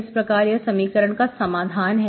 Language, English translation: Hindi, So this is the solution of the equation